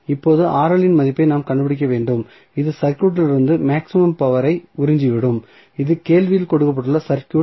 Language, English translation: Tamil, Now, we need to find out the value of Rl which will absorb maximum power from the circuit, that is the circuit which was given in the question